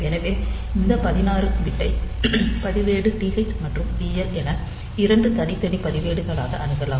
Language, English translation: Tamil, So, this 16 bit register it can be accessed as 2 separate registers TH and TL